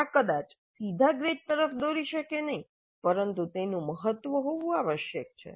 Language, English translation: Gujarati, This may not directly lead to the grades but it must have a bearing